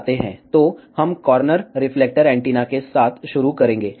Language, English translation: Hindi, So, we will start with corner reflector antenna